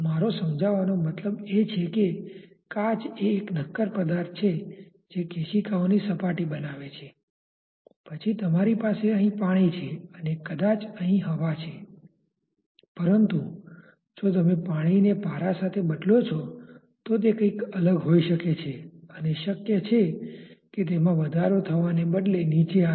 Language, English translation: Gujarati, I mean glass is a solid phase which forms the surface of the capillary then you have water here and maybe air here, but if you replace water with say mercury it may be something different and it may be possible that instead of a rise it has a fall